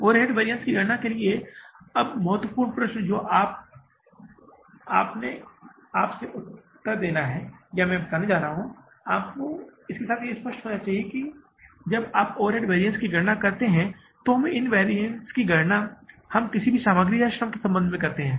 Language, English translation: Hindi, For calculating the overhead variances now the important question which you have to means answer with yourself or I am going to tell you it should be clear with that when you calculate the overhead variances we calculate these overhead variances in relation to of either material or labor